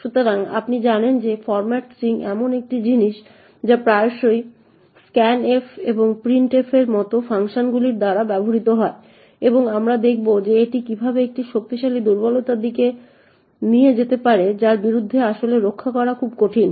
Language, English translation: Bengali, So, as you know the format string is something which is used quite often by functions such as scanf and printf and we will see that how this could lead to a very strong vulnerability that is very difficult to actually protect against